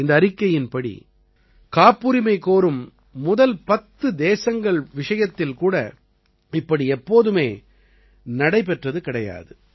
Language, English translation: Tamil, This report shows that this has never happened earlier even in the top 10 countries that are at the forefront in filing patents